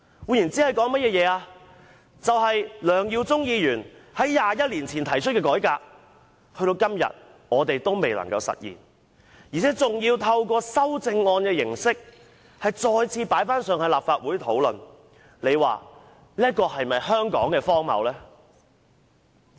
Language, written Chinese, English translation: Cantonese, 換言之，梁耀忠議員在21年前提出的改革建議，時至今日仍未能實現，而要透過修正案的形式再次提交立法會討論，這是否香港荒謬之處？, In other words the reform proposal made by Mr LEUNG Yiu - chung 21 years ago has not yet been realized and it will be tabled at the Legislative Council again in the form of an amendment . Is this an absurdity of Hong Kong?